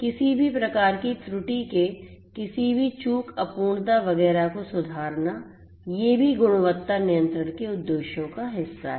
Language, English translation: Hindi, Rectifying any kind of error any omission incompleteness etcetera these are also part of the objectives of quality control